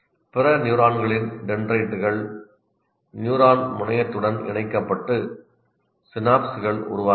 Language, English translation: Tamil, And this is the dendrites of other neurons get connected to the neuron terminal and synapses really form here